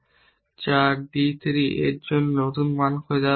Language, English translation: Bengali, What is the point of looking for new value for d 3